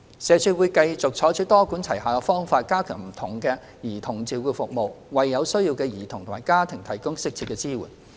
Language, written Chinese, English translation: Cantonese, 社署會繼續採取多管齊下的方法，加強不同的兒童照顧服務，為有需要的兒童及家庭提供適切的支援。, SWD will continue to adopt a multi - pronged approach to strengthening various child care services and providing appropriate support for children and families in need